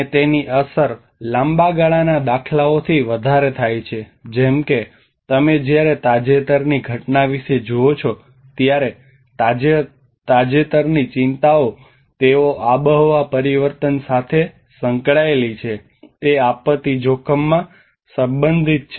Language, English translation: Gujarati, And it has the impact is more from a long run instances like when you see about the recent phenomenon, the recent concerns they are relating that the climate change is, directly and indirectly, related to the disaster risk